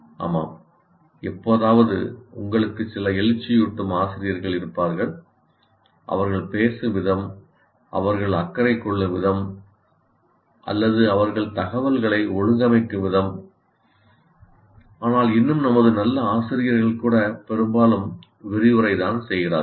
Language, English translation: Tamil, Yes, occasionally you will have some inspiring teachers the way they speak, possibly the way they care or the way they organize information, but still even our good teachers are mostly lecturing